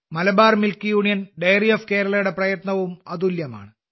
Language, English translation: Malayalam, The effort of Malabar Milk Union Dairy of Kerala is also very unique